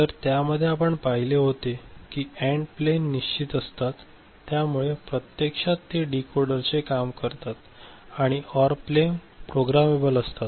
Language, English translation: Marathi, So, in that we had seen that the AND plane was fixed, so it actually forms the decoder and the OR plane was programmable